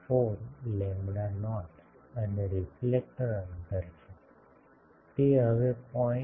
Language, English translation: Gujarati, 4 lambda not and reflector spacing; that is 0